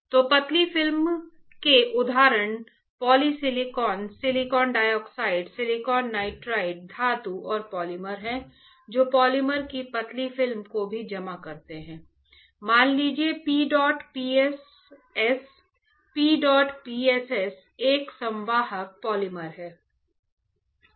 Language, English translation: Hindi, So, thin films examples are polysilicon, silicon dioxide, silicon nitride, metals and polymers right even deposit thin film of polymer; let say p dot p s s; p dot p s s is a conducting polymer